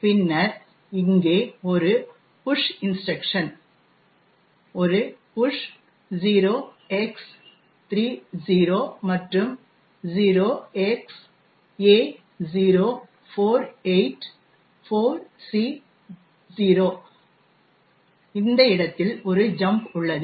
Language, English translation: Tamil, Then, here there is a push instruction, a push 0X30 and a jump to this location 0XA0484C0